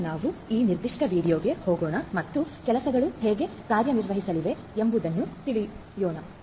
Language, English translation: Kannada, So, let us now go to this particular window and let us show you how things are going to work